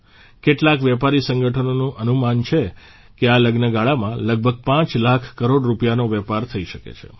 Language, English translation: Gujarati, Some trade organizations estimate that there could be a business of around Rs 5 lakh croreduring this wedding season